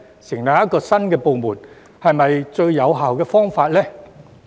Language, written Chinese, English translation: Cantonese, 成立一個新部門是否最有效的方法呢？, Is setting up a new unit the most effective way?